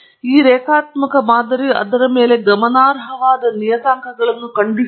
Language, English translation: Kannada, We have discovered that this linear model as significant parameters on it